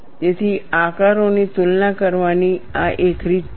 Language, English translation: Gujarati, So, that is one way of comparing the shapes